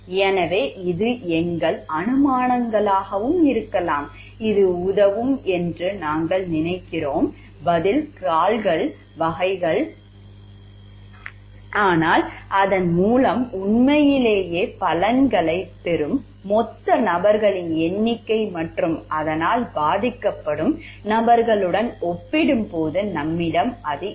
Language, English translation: Tamil, So, in that maybe our assumptions also I think type of answer we think that it will help, but we may not have a count of the total people who will truly get benefits by it and with comparison to the people who are suffering for it